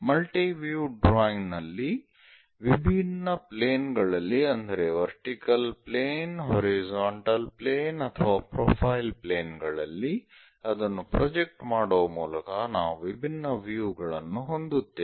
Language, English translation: Kannada, In multi view drawing we have different views by projecting it on different planes like vertical plane, horizontal plane or profile plane